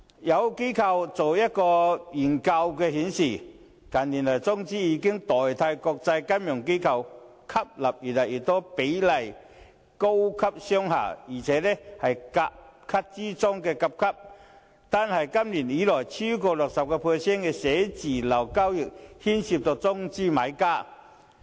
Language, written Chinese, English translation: Cantonese, 有機構進行的研究顯示，近年中資已取代國際金融機構吸納越來越多的高級商廈，這些商廈更是甲級中的甲級，單是今年，已有超過 60% 的寫字樓交易是中資買家。, A study conducted by an organization also reveals that in recent years Mainland - funded organizations have taken the place of international financial institutions to take up more and more high - end commercial buildings which are the most superior of Grade A commercial buildings . This year alone over 60 % of office transactions have involved Mainland - funded buyers